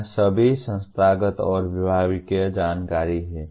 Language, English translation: Hindi, It is all institutional and departmental information